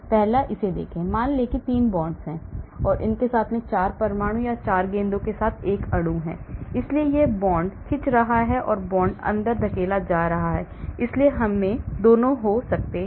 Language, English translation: Hindi, The first one, look at this, assume there is a molecule with 4 atoms or 4 balls connected with 3 bonds, so this is the bond stretching, the bond gets pulled or bond gets pushed inside, so we can have both